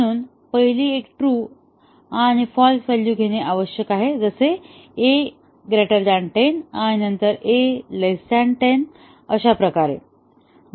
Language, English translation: Marathi, So, the first one must take true and false value; a greater than 10 and then a less than 10